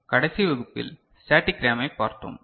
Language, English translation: Tamil, In the last class we looked at static RAM